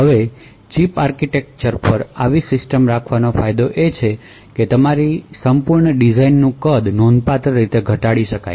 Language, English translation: Gujarati, Now the advantage of having such a System on Chip architecture is that a size of your complete design is reduced considerably